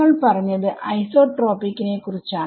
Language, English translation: Malayalam, Well that is what you said was about isotropic